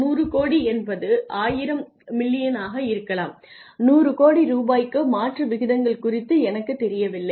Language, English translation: Tamil, And 100 crores is I think probably 10 no 1000 million I am not sure of the conversion rates anyway 100 crore rupees